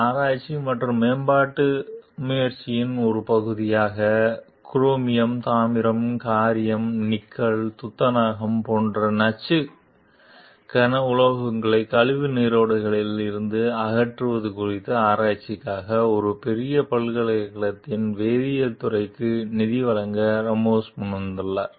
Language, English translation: Tamil, As a part of a research and development effort, Ramos offers to provide funding to the chemical department of a major university for research on the removal of poisonous heavy metals like chromium, copper, lead, nickel, zinc from waste streams